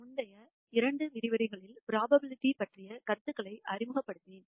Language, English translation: Tamil, In the preceding two lectures, I introduced the concepts of probability